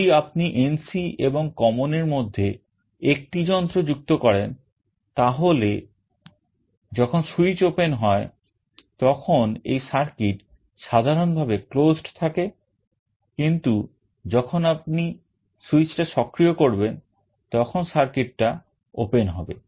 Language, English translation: Bengali, If you connect a device between NC and common, then when the switch is open this circuit is normally closed, but when you activate the switch this circuit will be open